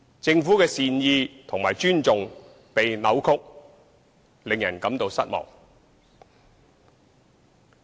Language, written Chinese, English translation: Cantonese, 政府的善意和尊重被扭曲，令人感到失望。, It is disappointing that the Governments good intention and respect have been distorted